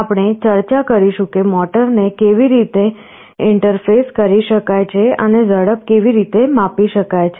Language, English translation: Gujarati, We shall be discussing how motor can be interfaced and how speed can be sensed